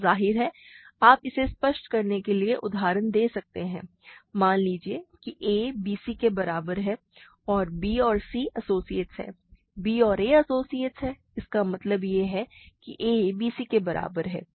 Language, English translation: Hindi, So, we cannot have, of course, if just to give you illustrate this; suppose a is equal to bc and b is an b and c are associates, b and a are associates; this means that we have a is equal to bc